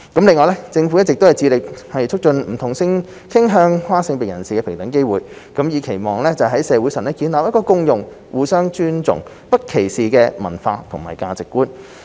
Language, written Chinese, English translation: Cantonese, 另外，政府一直致力促進不同性傾向和跨性別人士的平等機會，以期在社會上建立共融、互相尊重、不歧視的文化和價值觀。, Separately the Government is committed to promoting equal opportunities for people of different sexual orientations and gender identities with a view to fostering in the community the culture and values of inclusiveness mutual respect and non - discrimination